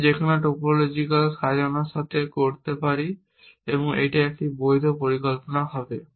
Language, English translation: Bengali, I can do with any topological sort and that will be a valid plan